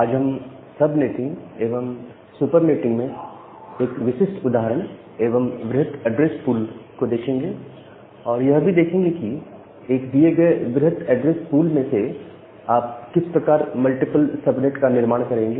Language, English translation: Hindi, So, today we will look into a specific example about the subnetting and supernetting, and given a larger address pool, how can you construct multiple subnets out of that particular address pool